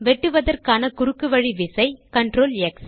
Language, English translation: Tamil, The shortcut key to cut is CTRL+X